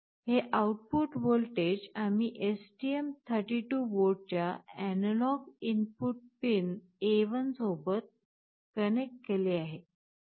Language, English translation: Marathi, Now this output voltage we have connected to the analog input pin A1 of the STM32 board